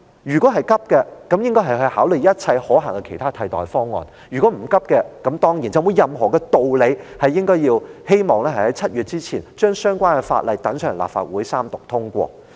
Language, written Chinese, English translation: Cantonese, 如果急，他便應該要考慮一切可行的替代方案；如果不着急，他便沒有任何道理，希望在7月前把相關法例交到立法會三讀通過。, If it is urgent he should consider all the feasible alternatives . If not he will have no reason to push for the Bill to get passed by the Legislative Council in the Third Reading before July